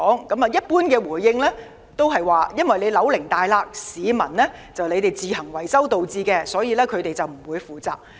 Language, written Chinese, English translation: Cantonese, 回應一般是大廈的樓齡長，裂痕是市民自行維修所致，所以他們不會負責。, And typically the response is that as the building is old and the cracks are a result of individual repairs carried out by the residents the Corporation would not be responsible for them